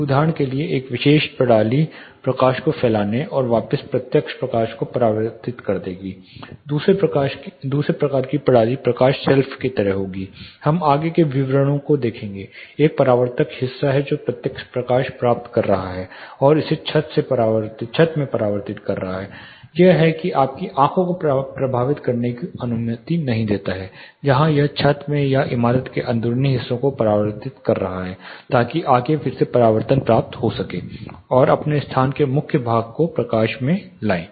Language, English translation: Hindi, This particular system will diffuse the light and reflect back the direct light the second type of system will like light shelf, we will look at the details further there is a reflective part which is getting direct light and reflecting it into the ceiling it is not allowing, It to affect your eye level where as, it is reflecting into the ceiling or the interiors of the building to get further re reflection, light the core part of your space